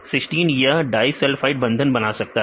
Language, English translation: Hindi, Cysteine can form this disulphide bonds